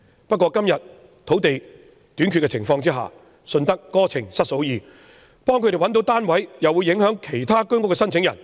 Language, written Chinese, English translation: Cantonese, 但在今天土地短缺的情況下，"順得哥情失嫂意"，如為他們編配單位，又會影響其他居屋申請者。, But given the shortage of land in Hong Kong today we just cannot get the best of both worlds . Allocation of flats for them will affect other applicants for HOS flats